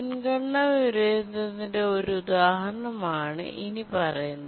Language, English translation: Malayalam, We just give an example of a priority inversion